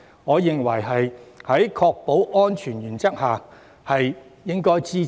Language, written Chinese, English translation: Cantonese, 我認為在確保安全的原則下，這項建議值得支持。, In my view this proposal is worth supporting on the premise of safety